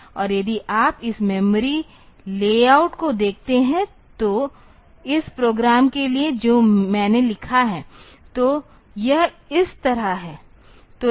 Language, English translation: Hindi, And if you look into this memory layout for this program that I have written; so, it is like this